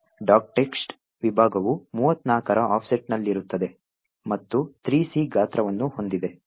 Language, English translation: Kannada, For example, the dot text section is present at an offset of 34 and has a size of 3C